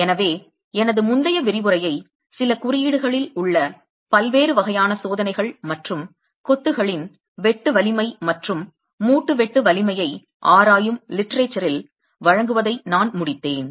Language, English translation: Tamil, So I had concluded my previous lecture presenting the different types of tests that are available in some codes and in the literature that examines shear strength of masonry and joint shear strength